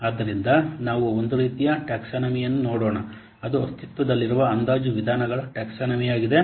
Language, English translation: Kannada, So let's see at the one type of taxonomy, a taxonomy of the existing estimation methods